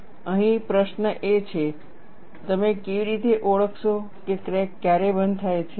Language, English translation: Gujarati, And the question here is, how will you identify when does the crack close and when does the crack opens